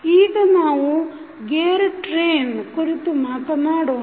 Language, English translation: Kannada, Now, let us talk about the gear train